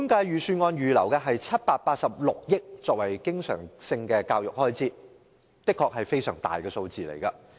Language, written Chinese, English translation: Cantonese, 預算案預留786億元作為教育的經常開支，這的確是非常大的數字。, The Budget has earmarked 78.6 billion as the recurrent expenditure on education . This is honestly a substantial figure